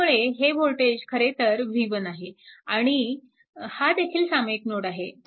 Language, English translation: Marathi, So, this voltage actually v 1 and this is also a common node